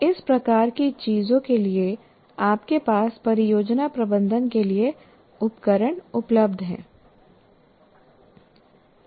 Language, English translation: Hindi, For this kind of thing, you have tools available for project management